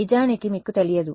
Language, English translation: Telugu, Actually you do not know